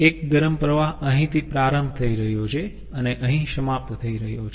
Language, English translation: Gujarati, another hot stream is starting from here and ending here, ah